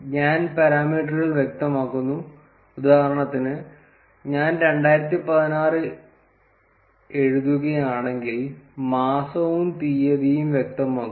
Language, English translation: Malayalam, And we specify the parameters, for instance, if I write 2016 specify the month and the date